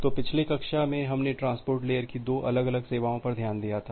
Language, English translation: Hindi, So, in the last class we have looked into to the two different services of transport layer